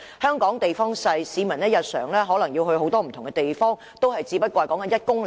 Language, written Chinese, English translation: Cantonese, 香港地方小，市民日常前往很多不同的地方，距離可能也只是1公里內。, Hong Kong is a small place . People travel probably within a radius of 1 km daily